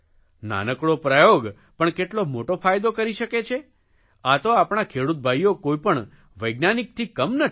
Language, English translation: Gujarati, A small experiment can turn lucrative, our farmers are no less than scientists